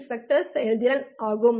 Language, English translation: Tamil, So your spectral efficiency triples